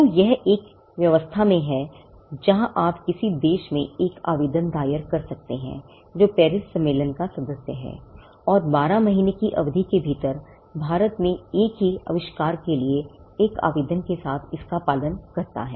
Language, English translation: Hindi, So, this is in arrangement, where you can file an application in any country, which is a member of the Paris convention and follow it up with an application in India for the same invention, within a period of 12 months